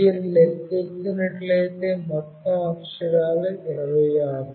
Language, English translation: Telugu, The total characters if you count is 26